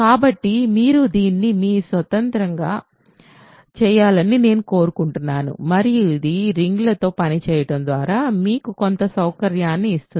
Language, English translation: Telugu, So, I want you to do this on your own and this will give you some comfort level with working with rings